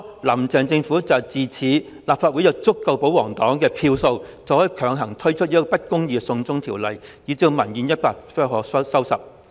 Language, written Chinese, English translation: Cantonese, "林鄭"政府就是恃着在立法會有足夠的保皇票數，可以強推不公義的"送中條例"，以致民怨一發不可收拾。, The Carrie LAMs Government thought that it could with a sufficient number of votes from the royalist force through the unjust China extradition bill resulting in public grievances getting out of control